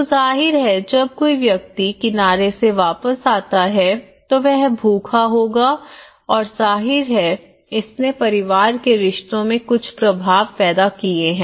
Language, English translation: Hindi, So obviously, when a person returns as I you know, comes back from the shore and to the shore and he is hungry and obviously, it has created certain impacts in the family relationships